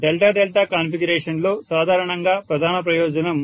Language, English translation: Telugu, In delta delta configuration normally major advantage